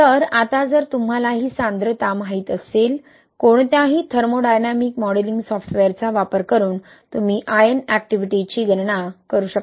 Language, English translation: Marathi, So, now if you know these concentrations, right, using any thermodynamic modelling software, you can calculate the ion activity, right